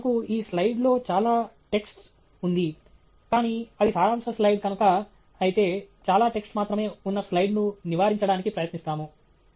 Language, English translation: Telugu, This slide for example, has a lot of text, but that’s because it is a summary slide but otherwise we would try to avoid a slide which only has so much of text